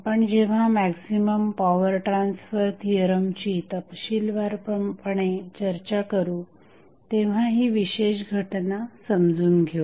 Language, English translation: Marathi, Now, let us understand the maximum power transfer theorem with the help of 1 example